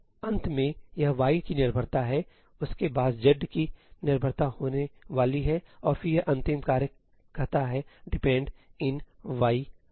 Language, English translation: Hindi, So, finally, this is going to have a dependency of y, this is going to have a dependency of z and then this final task says ëdepend in y, zí